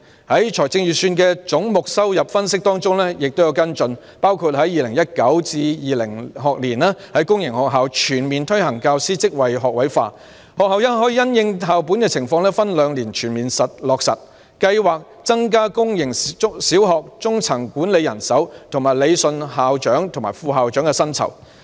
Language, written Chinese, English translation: Cantonese, 在預算的總目收入分析中也就此作出跟進，包括在 2019-2020 學年在公營學校全面推行教師職位學位化，學校可因應校本情況分兩年全面落實計劃；增加公營小學中層管理人手，以及理順校長和副校長的薪酬。, The Revenue Analysis by Head in the Budget also follows up on that . For instance the Government will implement the all - graduate teaching force policy in public sector primary and secondary schools in the 2019 - 2020 school year and schools may taking into account their school - based circumstances achieve full implementation in two years; improve the manpower at the middle management level in public primary schools and rationalize the salaries for principals and vice principals